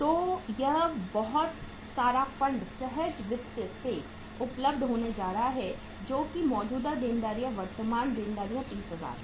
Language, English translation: Hindi, So this much of the funds are going to be available from the spontaneous finance that is the current liabilities sundry creditors 30,000